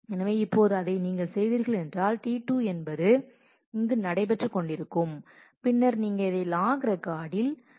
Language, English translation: Tamil, So, now, when you have done this, so when you have taken done the redo here that T 2 which is ongoing is there, then you write this log record